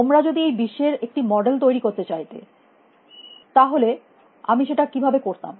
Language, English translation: Bengali, If you wanted to create a model of the world, how would I do it